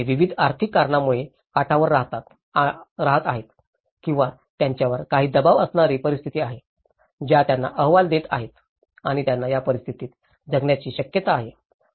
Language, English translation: Marathi, Whether, they are living on the edge for various economic reasons or there are certain pressurized situations that are challenging them, probing them to live in these conditions